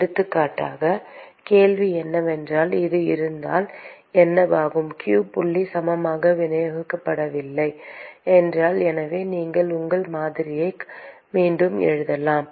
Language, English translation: Tamil, For example, the question is what happens if it is if q dot is unevenly distributed: so, you could simply rewrite your model